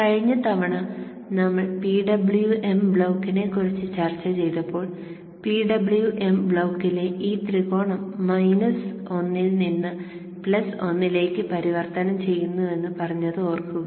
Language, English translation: Malayalam, Remember last time when we were discussing the PWM block we said that this triangle within the PWM block is transiting from minus 1 to plus 1